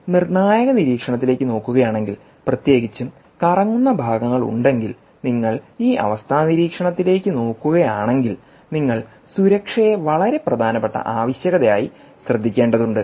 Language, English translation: Malayalam, but if you are looking at critical monitoring, particularly if there are rotating parts, and you are looking at this condition monitoring command, you may have to look at safety as a very important requirement